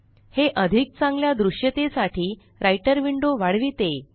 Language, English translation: Marathi, This maximizes the Writer window for better visibility